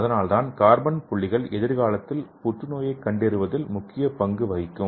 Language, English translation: Tamil, So this carbon dots will play a major role in cancer diagnosis in the near future